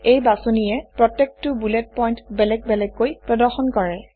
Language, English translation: Assamese, This choice displays each bullet point separately